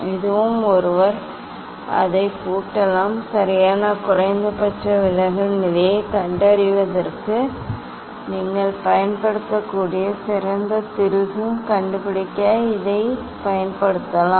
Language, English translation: Tamil, and this also one can lock it and we can use the, to find out the fine screw you can use for locating exact minimum deviation position, yes, I think